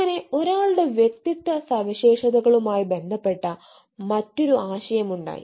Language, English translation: Malayalam, so, uh, this is, eh, another concept related to ones personality traits